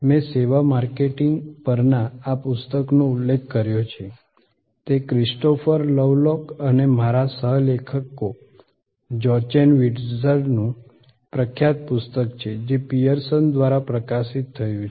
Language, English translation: Gujarati, I referred to this book on Services Marketing, it is a famous book by Christopher Lovelock and Jochen Wirtz my co authors, published by Pearson